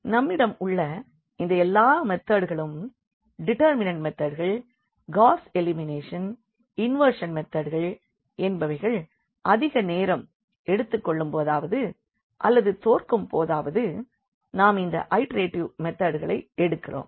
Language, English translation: Tamil, So, these all these methods which we have this method of determinant Gauss elimination, inversion method they actually fails or rather they take longer time, so, we take these iterative methods